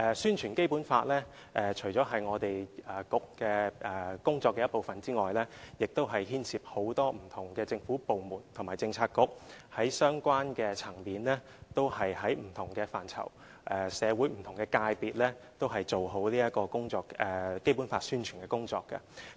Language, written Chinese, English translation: Cantonese, 宣傳《基本法》除了是本局工作的一部分之外，亦牽涉很多不同政府部門和政策局，在相關層面、不同範疇和社會不同界別也做好《基本法》的宣傳工作。, The promotion of the Basic Law apart from being part of the duties of this Bureau also involves many different government departments and policy bureaux and their joint efforts to promote the Basic Law effectively at the respective levels in various aspects and among different sectors of the community